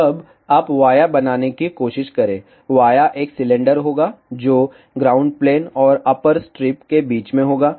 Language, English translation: Hindi, So, via will be a cylinder between the ground plane and the upper strip